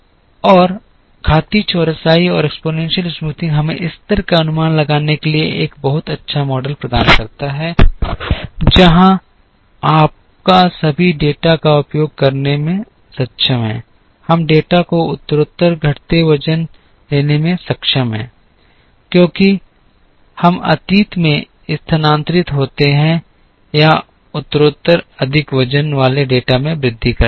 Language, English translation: Hindi, And exponential smoothing provides us with a very good model to forecast the level, where your able to use all the data, we are able to give progressively decreasing weights to the data as we move past or progressively increasing weights to more recent data